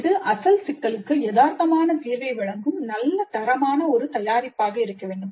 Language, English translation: Tamil, It must be a product of good quality providing realistic solution to the original problem